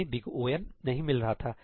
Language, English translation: Hindi, We were not getting order of n